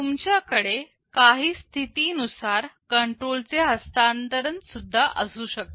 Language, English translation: Marathi, Now you can also have this transfer of control depending on some condition